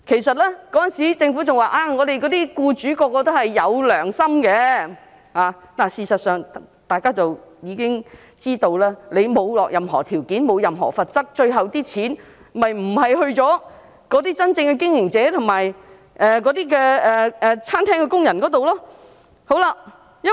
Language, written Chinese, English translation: Cantonese, 當時政府表示，所有僱主也是有良心的，但事實上，大家也知道，如果沒有施加任何條件或罰則，款項最後是不會落在經營者或餐廳工人手上的。, At that time the Government said all employers were conscientious . In reality however we know that if no condition or penalty is imposed the money will not reach the hands of the operators or restaurant workers in the end